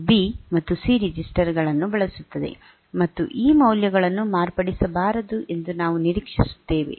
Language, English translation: Kannada, So, this uses the registers B and C, and we will expect that these values should not be modified